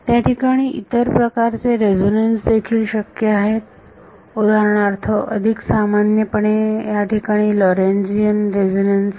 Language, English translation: Marathi, There are other kinds of resonances possible so, for example, there are others are more general are Lorentzian resonances